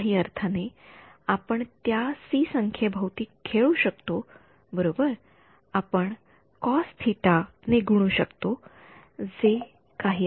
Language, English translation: Marathi, So, in some sense you can play around with that number c right we can multiply by some cos theta whatever